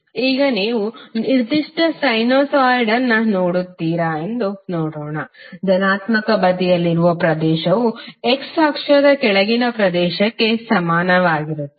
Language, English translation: Kannada, Let us see if you see a particular sinusoid, the area under the positive side would be equal for area below the x axis